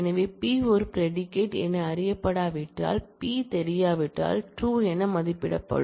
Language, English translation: Tamil, So, if P is unknown as a predicate will evaluate to true if P is not known